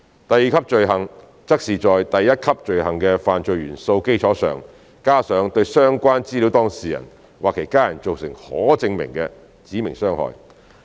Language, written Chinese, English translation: Cantonese, 第二級罪行則是在第一級罪行的犯罪元素的基礎上，加上對相關資料當事人或其家人造成可證明的"指明傷害"。, The second - tier offence is an offence in addition to the elements of the first - tier offence for a person to disclose personal data which has caused any provable specified harm to the data subject or hisher family members as a result of the disclosure